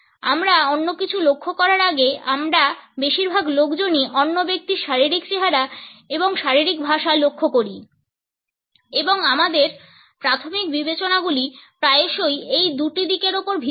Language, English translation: Bengali, Most of us notice another person’s physical appearance and body language before we notice anything else and our primary considerations are often based on these two aspects